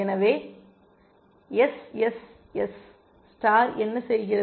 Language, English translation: Tamil, So, what does SSS star do